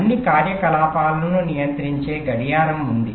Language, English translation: Telugu, there is a clock which controls all operations